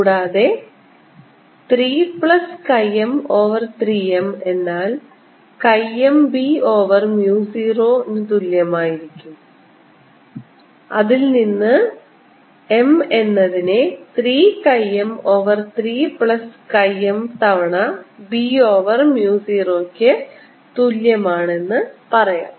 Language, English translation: Malayalam, and this gives me chi m plus one m equals chi m b over mu zero, or m is equal to chi m over chi m plus one b over mu zero